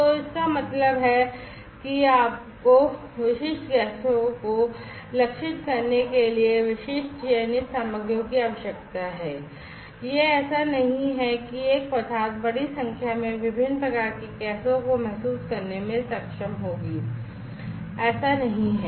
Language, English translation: Hindi, So that means, that you need to have specific selected materials for targeting specific gases it is not like you know one material will be able to sense large number of different types of gases it is not like that